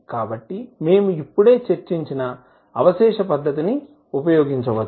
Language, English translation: Telugu, So, we can use the residue method, which we discussed just now